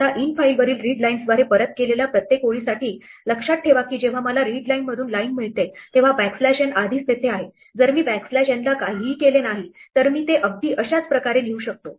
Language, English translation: Marathi, Now, for each line in returned by readlines on infile, remember that when I get line from readline the backslash n is already there, if I do not do anything to the backslash n, I can write it out the exactly the same way